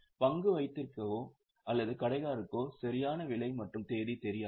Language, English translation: Tamil, So, the stockkeeper or the shopkeeper does not know exact price and the date